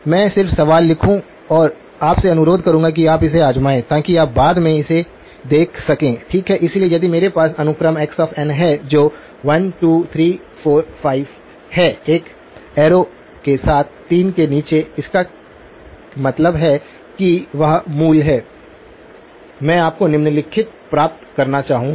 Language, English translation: Hindi, I will just write down the question and then request you to try it out so that you can we can then look at it in a subsequently okay, so if I have a sequence x of n which is 1, 2, 3, 4, 5 with an arrow under the 3 that means that is the origin, I would like you to obtain the following